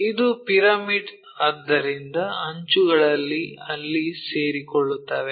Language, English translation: Kannada, It is a pyramid, so edges will coincide there